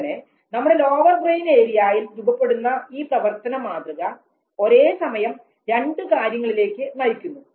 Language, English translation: Malayalam, And that pattern of activity that takes place in the lower brain area leads to two simultaneous things